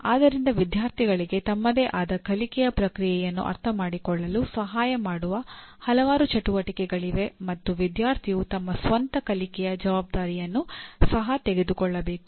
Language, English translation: Kannada, So there are several exercises that would be, could help students to understand their own learning process and the student should also take responsibility for their own learning